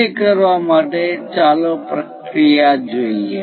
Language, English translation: Gujarati, To do that let us look at the procedure